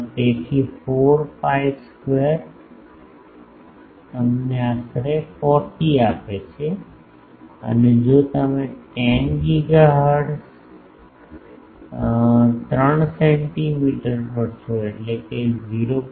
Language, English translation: Gujarati, So, 4 pi square gives you 40 roughly and if you are at 10 gigahertz 3 centimetre means 0